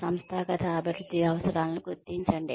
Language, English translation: Telugu, Identify organizational development needs